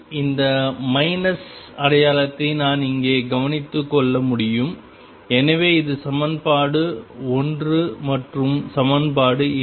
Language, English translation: Tamil, I can take care of this minus sign by it here, so this is equation 1 and equation 2